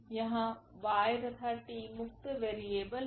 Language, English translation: Hindi, So, that was y and this t these are the free variables